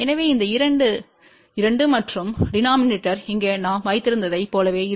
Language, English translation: Tamil, So, this two remains two and the denominator will be same as what we had over here which is 2 plus Z by Z 0